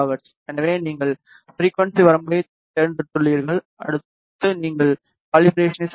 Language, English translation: Tamil, So, you have selected the frequency range, next you need to do the calibration